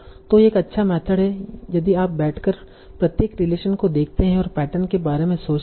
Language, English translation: Hindi, So now, so this is a nice method if you want to sit down and look at each and every relation and think about the patterns